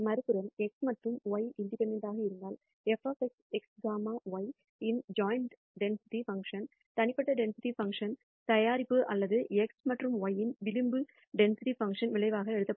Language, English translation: Tamil, On the other hand, if x and y are independent, then the joint density function of f of x x comma y can be written as the product of the individual density functions or marginal density functions of x and y